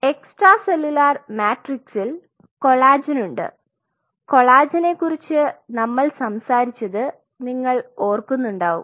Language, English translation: Malayalam, Extracellular matrix has collagen; we have already talked about collagen you remember